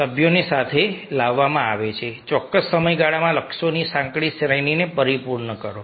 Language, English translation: Gujarati, members are brought together to accomplish a narrow range of goals within a specified time period